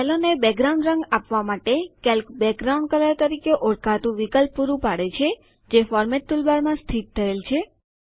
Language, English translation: Gujarati, In order to give background colors to cells, Calc provides an option called Background Color, located in the Formatting toolbar